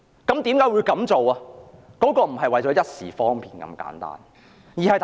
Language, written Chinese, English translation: Cantonese, 這絕對不是為了一時方便那麼簡單。, This is absolutely not done merely for the sake of convenience